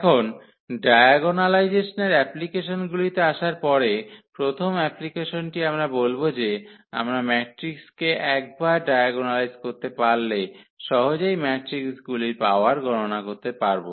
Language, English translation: Bengali, Now, coming to the applications of the diagonalization, the first application we will consider that we can easily compute the power of the matrices once we can diagonalize the matrix